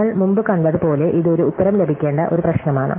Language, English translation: Malayalam, As we saw before, this is a problem where we have to get an answer